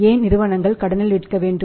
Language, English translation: Tamil, What are the motives why company sell on the credit